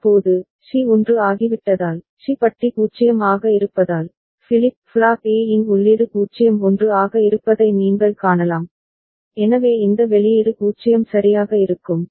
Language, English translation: Tamil, Now, at this point of time since C has become 1, so C bar is 0, you can see the input of flip flop A is 0 1, so it will, this output will remain 0 ok